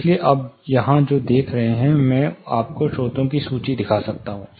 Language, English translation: Hindi, So, what you see here I can show you the list of sources that